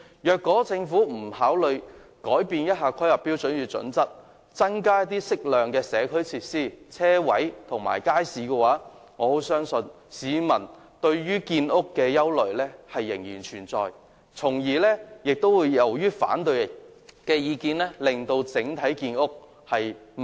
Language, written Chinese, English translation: Cantonese, 如果政府不修訂《規劃標準》，增加適量的社區設施、車位及街市，我相信市民對於建屋的憂慮將仍然存在，由此而起反對的意見亦將令整體建屋速度減慢。, If the Government does not amend HKPSG and suitably provide more community facilities parking spaces and markets I think public concerns over housing construction cannot be dispelled and opposition that arises will tie down the overall progress of housing production